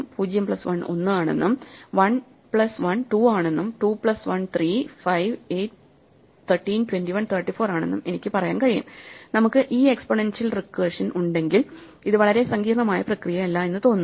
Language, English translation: Malayalam, 0 plus 1 is 1, and then 1 plus 1 is 2, 2 plus 1 is 3, 5, 8, 13, 21, 34, so clearly it is not a very complicated process as it seems to be when we have this exponential recursion